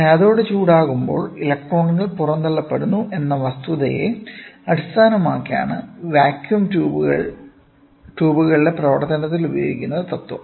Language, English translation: Malayalam, The principle employed in the working of vacuum tubes is based on the fact that when the cathode is heated the electrons are emitted